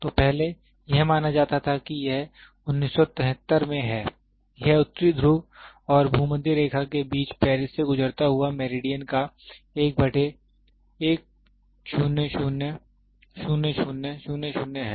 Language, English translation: Hindi, So prior, it was assumed that it is in 1793, it is 1 by 10 to the power 7 of the meridian through Paris between the North Pole and the Equator